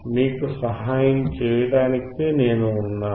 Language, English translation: Telugu, I am there to help you out